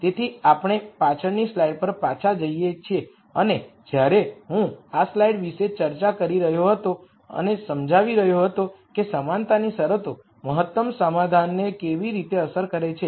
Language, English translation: Gujarati, So, we go back to the previous slide and when I was discussing this slide and explaining how equality constraints affect the optimum solution